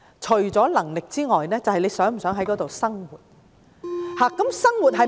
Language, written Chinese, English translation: Cantonese, "除能力外，便是他們是否想在當地生活。, Apart from financial means another factor is whether they have any intention to live there